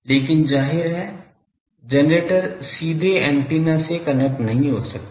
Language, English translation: Hindi, But obviously, the generator cannot directly connect to the antenna